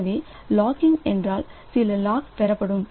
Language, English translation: Tamil, So, locking means some lock will be acquired